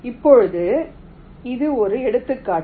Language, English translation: Tamil, now this is just an example